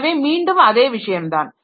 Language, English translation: Tamil, So, again the same thing